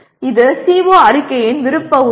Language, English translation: Tamil, This is an optional element of a CO statement